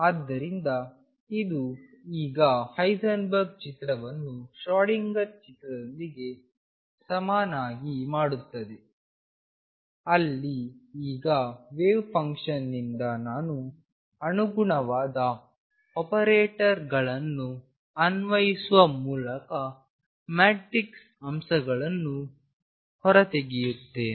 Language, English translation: Kannada, So, this now makes a equivalence of the Heisenberg picture with Schrödinger picture where now form the wave function I extract the matrix elements by applying the corresponding operators does it make sense